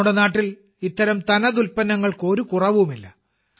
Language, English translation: Malayalam, There is no dearth of such unique products in our country